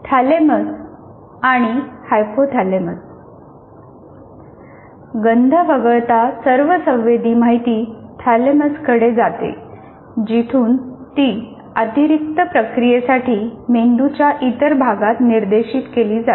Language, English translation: Marathi, All sensory information except smell goes to the thalamus from where it is directed to other parts of the brain for additional processing